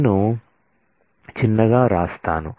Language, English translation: Telugu, Let me write it in smaller